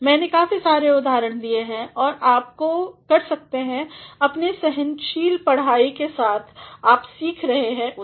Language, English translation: Hindi, I have given quite a good number of examples and you can with your patient reading you can learn them